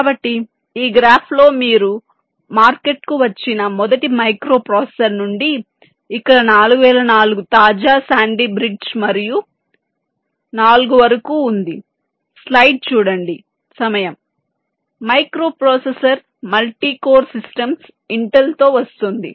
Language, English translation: Telugu, so you can see in this graph that he of from the first micro processor that came to the market, it is here four, zero, zero, four, up to the latest sandy i v micro processor, multi code systems, which intel is coming up with